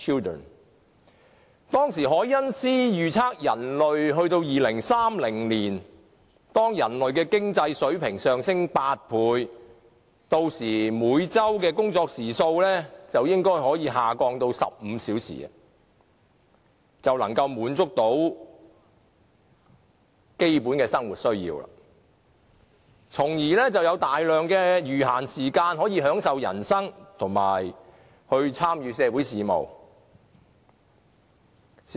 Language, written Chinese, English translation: Cantonese, 當時凱因斯預測，到了2030年，當人類的經濟水平上升8倍，屆時每周工作時數應可下降至15小時，已能滿足基本生活需要，從而可以騰出大量餘閒時間來享受人生，以及參與社會事務。, Back then KEYNES predicted that by 2030 when the economic standard of people would be eight times higher the weekly working hours should be able to drop to 15 hours with the basic needs of living being satisfied so that there would be a lot of leisure time to enjoy life and to participate in social affairs . Time passes very quickly and 80 - odd years have passed since 1930